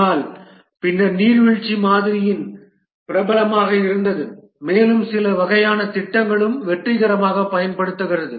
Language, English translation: Tamil, But then the waterfall model was popular and it is also successfully used in some types of projects